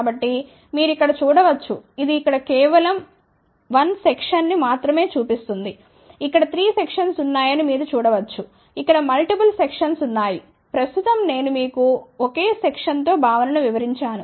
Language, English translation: Telugu, So, you can see here this one here shows only 1 section of course, you can see here there are 3 sections over here, there are multiple sections over here, right now let me explain you the concept with the single section